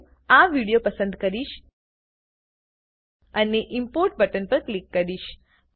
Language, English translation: Gujarati, I will choose this video and click on the Import button